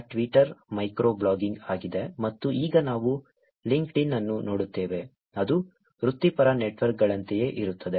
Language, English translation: Kannada, Twitter is micro blogging and now we look at LinkedIn, which is more like professional networks